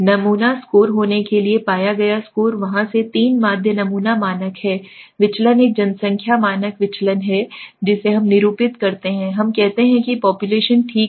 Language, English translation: Hindi, There scores were taken to found to be the sample mean was 3 right the s is the sample standard deviation there is a population standard deviation which we denote by let us say s okay